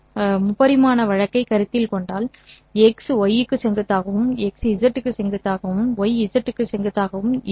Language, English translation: Tamil, If you were to consider three dimensional case, then x is perpendicular to y, x is perpendicular to z, y is perpendicular to z